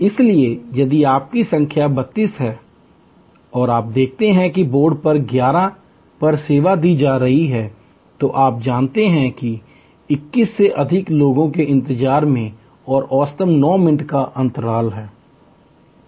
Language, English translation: Hindi, So, if your number is 32 and you see that on the board number 11 is getting served, so you know; that is gap of 21 more people waiting and into average 9 minutes